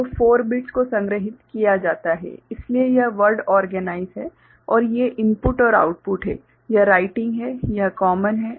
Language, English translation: Hindi, So, 4 bits are stored so, it is word organized right and these are these input and output this writing is, this is common